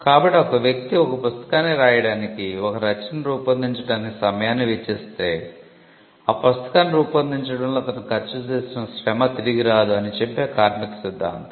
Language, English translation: Telugu, So, the labour theory which states that if a person expense time in creating a work for instance writing a book then it should not be that the labour that was spent in creating the book goes unrewarded